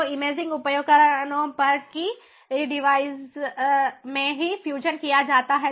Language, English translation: Hindi, ok, so at the imaging devices, that fusion is done in the device itself